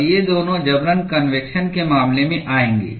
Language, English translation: Hindi, And both these would fall under the case of forced convection